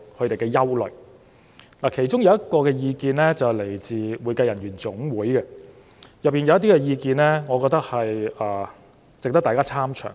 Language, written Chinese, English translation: Cantonese, 當中來自香港會計人員總會的意見，我覺得值得大家參詳。, I also think that we should consider in detail the views expressed by the Hong Kong Accounting Professionals Association HKAPA